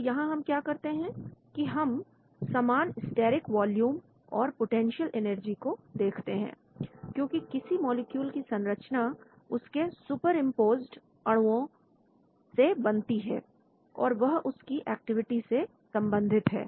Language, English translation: Hindi, So what do we do here is we look at common overlap steric volume and potential energy, because its molecular shape between pairs of superimposed molecules, they are correlated to the activity